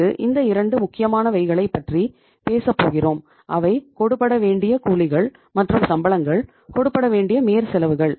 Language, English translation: Tamil, Then you talk about these 2 important other things is the outstanding wages and salaries and outstanding overheads